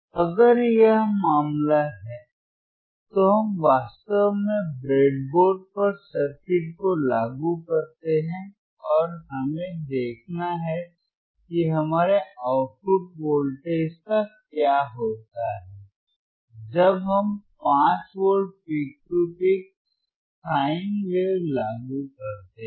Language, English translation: Hindi, So, if this is the case if this is the case, let us let us actually implement the circuit implement the circuit on the breadboard on the breadboard and let us see what happens what happens to our output voltage when we apply 5 volts peak to peak sine wave